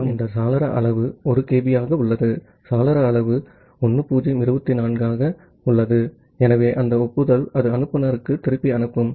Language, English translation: Tamil, And the sequence and a this window size as window size has 1 kB so, window size at 1024 So, that acknowledgement it will send back to the sender